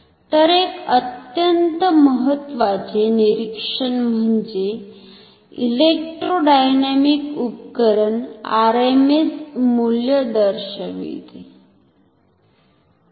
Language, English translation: Marathi, So, one observation very important electrodynamic instruments indicate rms value